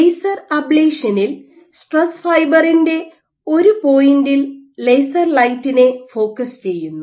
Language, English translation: Malayalam, So, what laser ablation does is it focuses laser light at a single point on a stress fiber